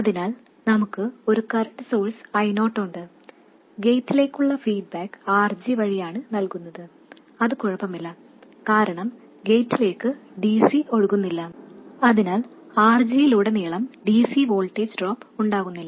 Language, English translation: Malayalam, So, we have a current source I 0, the feedback to the gate is provided through RG and that is okay because no DC flows into the gate so there will be no DC voltage drop across RG